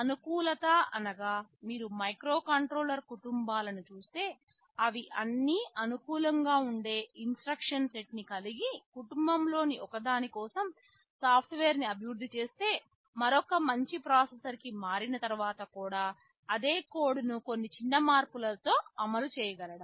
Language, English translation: Telugu, Now, if you look at the microcontrollers across the family they are all instruction set compatible so that once you develop software for one member of the family, and you move to a better processor, the same code can run or execute with very little modification